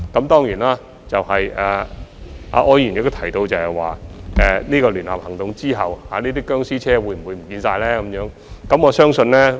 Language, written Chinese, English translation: Cantonese, 當然，柯議員亦問及在聯合行動之後，這些"殭屍車"會否全部消失。, Certainly Mr OR also asked whether these zombie vehicles would all disappear after the joint operations